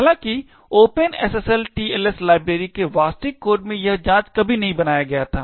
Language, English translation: Hindi, However, in the actual code of the Open SSL TLS library this check was never made